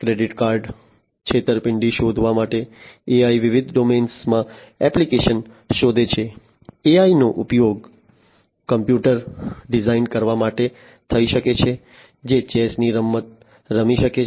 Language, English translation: Gujarati, AI finds the application in different domains in for credit card fraud detection AI could be used, AI could be used for designing a computer, which can play the game of chess